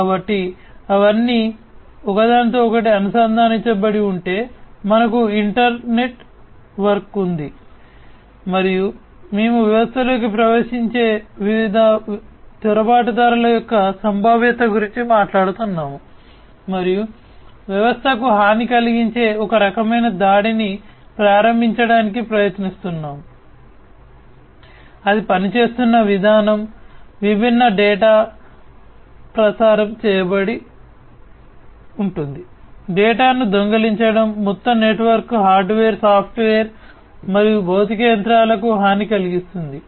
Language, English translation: Telugu, So, if they are all interconnected we have an internetwork, and if we have an internetwork we are talking about the potential of different intruders getting into the system and trying to launch some kind of attack to harm the system, the way it is operating, the different data that are being transmitted, stealing the data, overall harming the network, the hardware the software etcetera and the physical machines themselves